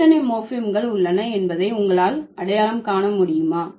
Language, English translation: Tamil, So, can you identify how many morphems are there